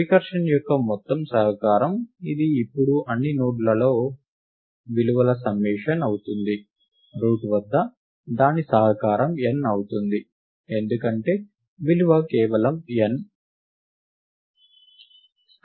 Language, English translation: Telugu, The contribution to the whole recursion, right which is essentially the summation of the values at all the nodes now; at the root, the contribution is n, because the value is just n